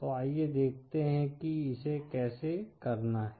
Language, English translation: Hindi, So let us see how to do that